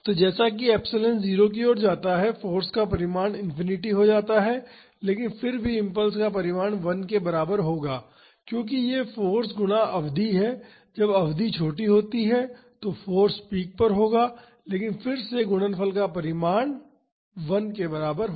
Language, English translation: Hindi, So, as epsilon tends to 0, the magnitude of the force becomes infinite, but even then the magnitude of the impulse will be same as 1, because it is force times the duration, when the duration is small force will peak, but again the magnitude of the product will be equal to 1